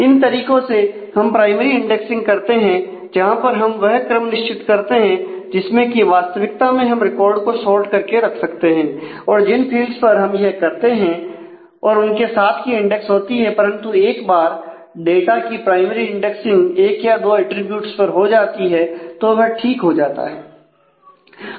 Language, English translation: Hindi, So, these were the ways to do the primary indexing where we decide the order in which we actually keep the record sorted or the fields on which we do that and the index associated with it, but once since the data can be primarily indexed on one or couple of attributes and that gets fixed